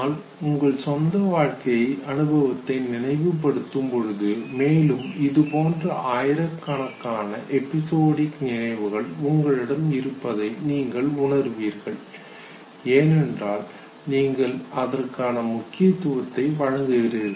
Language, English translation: Tamil, But you recollect your own life experience and you would realize that you have thousands and thousands of such episodic recollections, because you provide certain specific significance to it